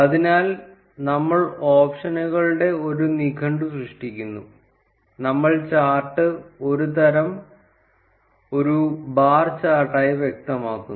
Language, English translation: Malayalam, So, we create a dictionary of options, we specify the chart type as bar chart